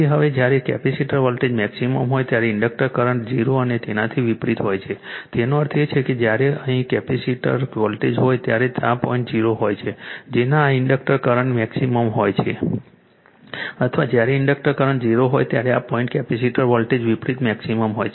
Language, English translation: Gujarati, So, therefore, since when the now when the capacitor voltage is maximum the inductor current is 0 and vice versa when; that means, when capacitor voltage here it is this point 0 in this your what you call this inductor current is maximum or when inductor current is 0 this point capacitor voltage is maximum vice versa